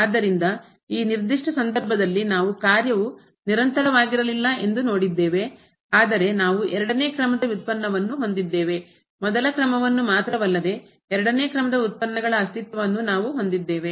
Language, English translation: Kannada, So, in this particular case we have seen the function was not continuous, but we have a second order derivative not only the first order we have the existence of second order derivatives